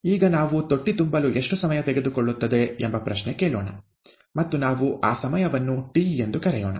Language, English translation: Kannada, Now let us ask the question, how long would it take to fill the tank, and let us call that time t